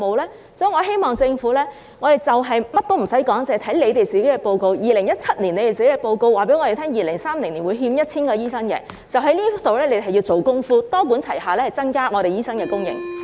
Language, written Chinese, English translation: Cantonese, 因此，我們認為政府無需考慮其他，單單看當局2017年的報告，即2030年會欠 1,000 名醫生，然後就此做工夫，多管齊下增加醫生的供應。, Hence we find it unnecessary for the Government to make other considerations . It should simply focus on the shortfall of 1 000 doctors by 2030 as stated in the report in 2017 and then do something about it by increasing the supply of doctors through a multi - pronged approach